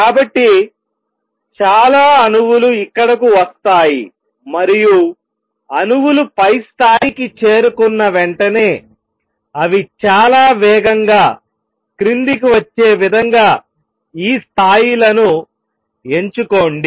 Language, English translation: Telugu, And choose these levels in such a way that as soon as the atoms reach the upper level, they come down very fast